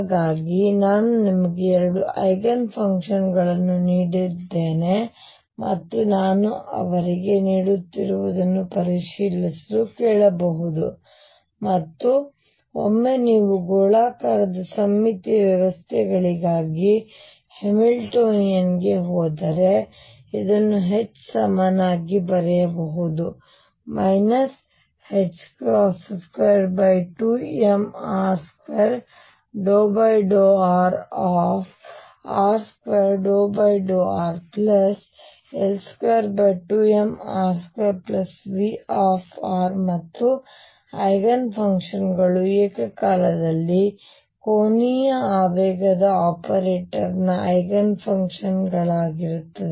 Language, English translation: Kannada, So, I given you 2 Eigen functions others I can keep giving and ask you to check what they are like and once you then go to the Hamiltonian for spherically symmetric systems this can be written as H equals minus h cross square over 2 m r square partial with respect to r; r square partial with respect to r plus L square over 2 m r square plus V r and since the Eigenfunctions psi are going to be simultaneous Eigenfunctions of the angular momentum operator